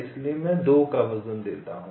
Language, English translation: Hindi, so i give a weight of two